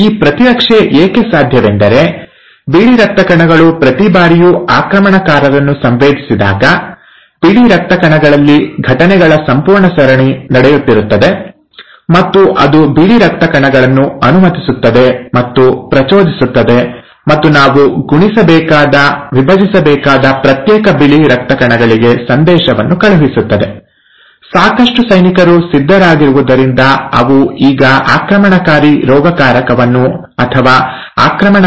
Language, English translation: Kannada, Now this immunity is possible because every time the white blood cells are sensing the invaders, there is a whole series of events which are taking place in white blood cells, and it allows and triggers now the white blood cells and sends a message to the individual white blood cells that we need to multiply, we need to divide, have enough soldiers ready so that they now kill the invading pathogen or the invading bacteria